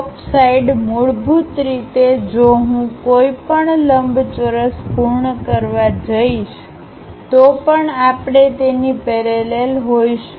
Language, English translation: Gujarati, On the top side is basically, if I am going to complete a rectangle whatever that line we are going to have parallel to that